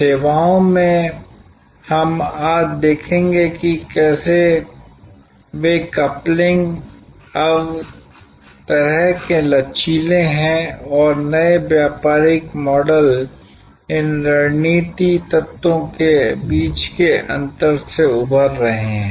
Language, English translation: Hindi, In services we will see today, that how those couplings are now kind of flexible and new business models are emerging from the interfaces between these strategy elements